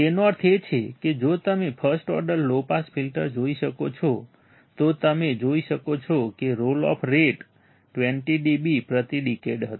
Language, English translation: Gujarati, That means, if you see the first order low pass filter, you will see that the roll off rate was 20 dB per decade